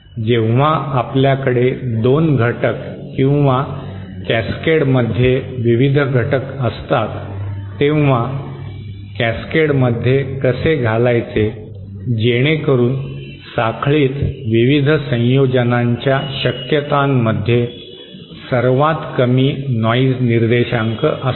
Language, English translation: Marathi, That is when we have 2 elements or various elements in cascade, how to put them in cascade so that the lowest so that the chain will have the lowest noise measure of the various combinations noise figure of the various combinations possible